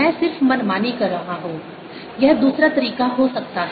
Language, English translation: Hindi, i am just making arbitrarily could be the other way